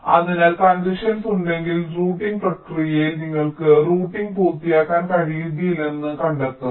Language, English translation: Malayalam, so if there is a congestion, it is quite likely that during the process of routing you will find that you are not able to complete the routing at all